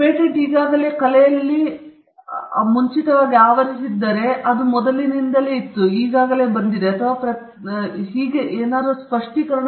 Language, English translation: Kannada, If the patent covers something which is already preceded it in the art, it is preceded, it’s already come or the patent covers something which is obvious for everybody to do